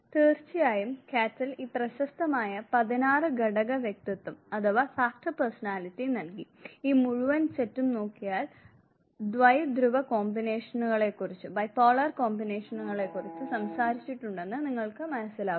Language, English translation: Malayalam, And of course, Cattell gave this is famous 16 factor personality and if you look at this whole set you would realize now that bi polar combinations have been talked about